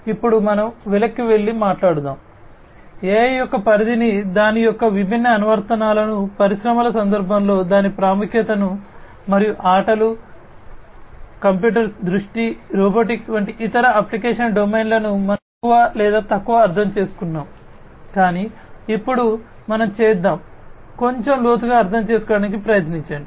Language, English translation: Telugu, Let us now go back and talk about, we have understood more or less the scope of AI, the different applications of it, its importance in the context of industries and different other application domains like games, computer vision, robotics, etcetera, but let us now try to understand in little bit further depth